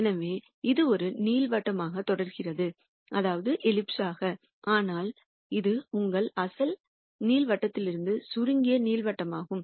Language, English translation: Tamil, So, this is continuing to be an ellipse, but it is an ellipse that are shrunk from your original ellipse